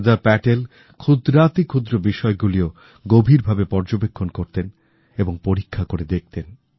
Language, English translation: Bengali, Sardar Patel used to observe even the minutest of things indepth; assessing and evaluating them simultaneously